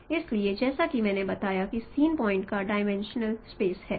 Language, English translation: Hindi, So scene point as I mentioned is in one dimensional space